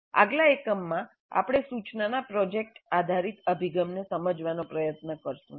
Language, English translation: Gujarati, And in the next unit, we'll try to understand project based approach to instruction